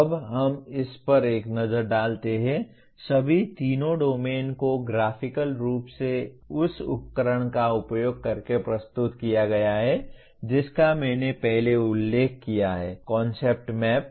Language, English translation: Hindi, Now let us take a look at the, all the three domains are presented here graphically using the tool I have mentioned earlier, Concept Map